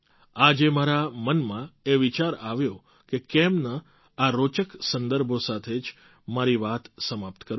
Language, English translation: Gujarati, Today a thought came to my mind that why not end my talk with such interesting references